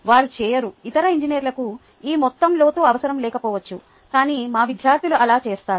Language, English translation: Telugu, the other engineers may not the need this amount of depth, but our students do